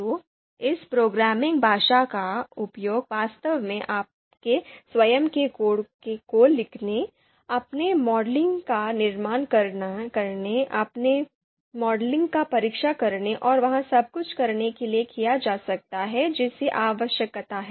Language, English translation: Hindi, So this programming this programming language can actually be used to write your own code and you know build your model, test your models and do everything that is required